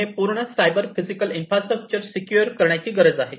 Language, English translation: Marathi, And there is need for securing the entire cyber physical infrastructure that is there